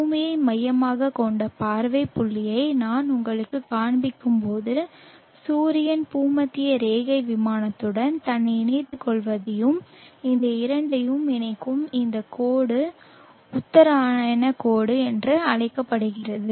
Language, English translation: Tamil, When I show you the earth centric view point you will see that the sun is allying itself along the equatorial plane and this line joining these two this call the equine aux line